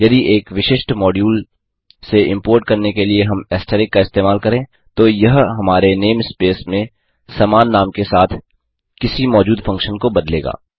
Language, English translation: Hindi, If we use asterisk to import from a particular module then it will replace any existing functions with the same name in our name space